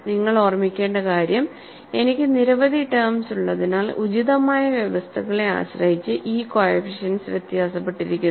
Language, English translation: Malayalam, So, what you will have to keep in mind is, as I have several terms, depending on the appropriate conditions, these coefficients differ